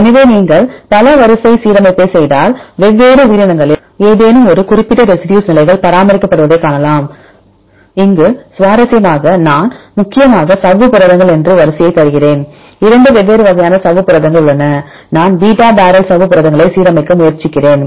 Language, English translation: Tamil, So, if you do the multiple sequence alignment you can see there are any specific residue positions are maintained in different organisms here interestingly I give the sequence that is mainly the membrane proteins there are 2 different types of membrane proteins I used the beta barrel membrane proteins I try to align